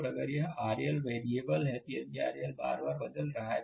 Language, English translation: Hindi, And if this R L is variable, if this R L is changing again and again